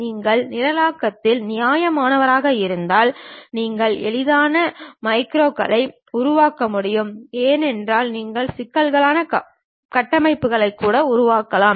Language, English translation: Tamil, If you are reasonably good with programming and you can easily construct macros then you can build even complicated structures